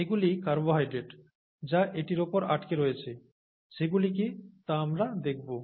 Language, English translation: Bengali, And these are carbohydrates that stick onto it, we will see what they are